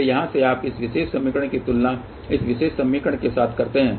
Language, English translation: Hindi, So, from here you compare this particular thing with this particular equation over here